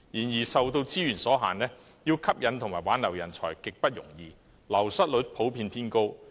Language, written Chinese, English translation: Cantonese, 然而，受資源所限，要吸引和挽留人才極不容易，流失率普遍偏高。, However owing to limited resources it is by no means easy to attract and retain talents . The wastage rate is generally high